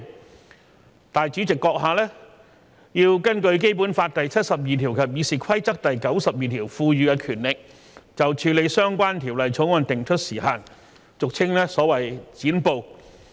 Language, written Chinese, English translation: Cantonese, 立法會主席閣下要根據《基本法》第七十二條及《議事規則》第92條賦予的權力，就處理相關條例草案定出時限，俗稱"剪布"。, In exercise of the powers conferred by Article 72 of the Basic Law and RoP 92 the President of the Legislative Council would then have to set a time limit for dealing with the Bill or simply to cut off a filibuster